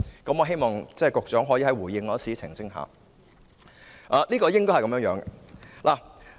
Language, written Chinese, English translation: Cantonese, 我希望局長能在回應時澄清一下。, I hope that the Secretary will give a clarification in his reply